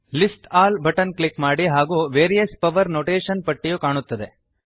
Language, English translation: Kannada, Click on List All button and you will see a list of various power notations